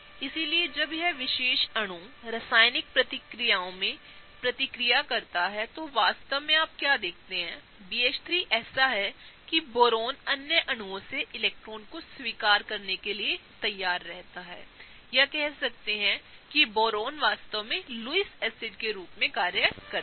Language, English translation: Hindi, So, when this particular molecule reacts in chemical reactions, what you really see is that the BH3 is such that the Boron is kind of ready to accept electrons from other molecules, and Boron here really acts as a Lewis acid